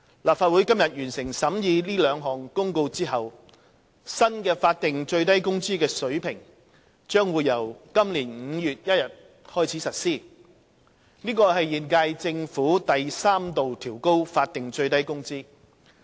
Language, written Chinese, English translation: Cantonese, 立法會今天完成審議這兩項公告後，新的法定最低工資水平將於今年5月1日開始實施，這是現屆政府第三度調高法定最低工資。, After the completion of examination of the Notices by this Council today the new SMW rate will come into effect on 1 May this year as the third adjustment of SMW by the current - term Government